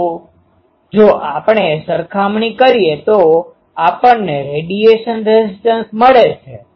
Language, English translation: Gujarati, So, if we compare we get the radiation resistance